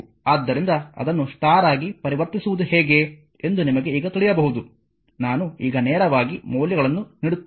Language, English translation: Kannada, So, you can now you know how to convert it to star, I will now will directly I give the values right